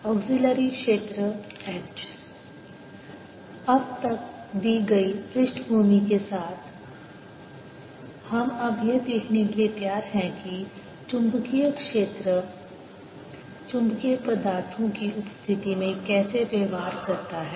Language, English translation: Hindi, with the background given so far, we are now ready to look at how magnetic field behaves in presence of magnetic materials